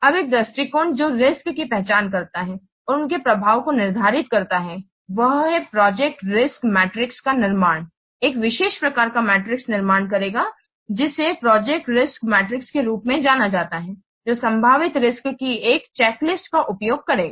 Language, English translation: Hindi, One approach to know what identify the risk and the quantify their effects is to construct a project risk matrix, a special type of matrix will construct that is known as project ricks matrix which will utilize a checklist of a possible risk